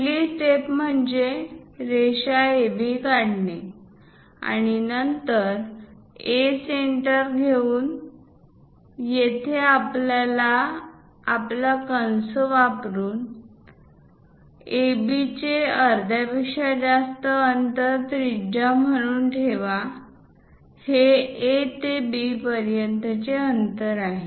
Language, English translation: Marathi, The first step is draw a line AB and then with A as centre; so here we are going to use our compass; keep it as a centre and radius greater than half of AB; the distance from A to B is that